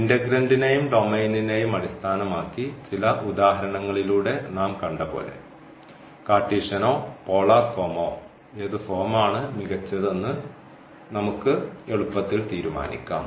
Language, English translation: Malayalam, And that based on the integral integrants and also the domain, we can easily decide that which form is better whether the Cartesian or the polar form we have seen through some examples